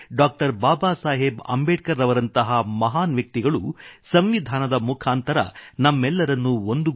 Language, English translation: Kannada, Babasaheb Ambedkar who forged unity among us all through the medium of the Constitution